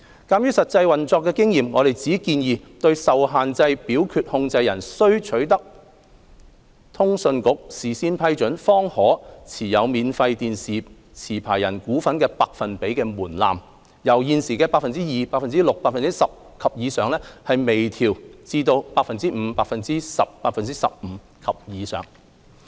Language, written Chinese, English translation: Cantonese, 鑒於實際運作經驗，我們只建議對受限制表決控權人須取得通訊局事先批准，方可持有免費電視持牌人股份的百分比門檻，由現時的 "2%、6%、10% 及以上"，輕微調整至 "5%、10%、15% 及以上"。, We suggest that they be kept intact . Based on practical operational experience we only propose minor refinements to the threshold shareholdings of a free TV licensee by an unqualified voting controller that requires CAs prior approval from the existing 2 % 6 % 10 % and above to 5 % 10 % 15 % and above